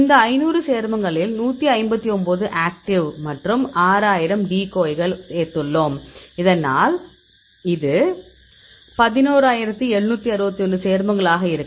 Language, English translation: Tamil, So, this 5000 compounds we added this 159 actives and 6000 decoys so that this will be 11761 compounds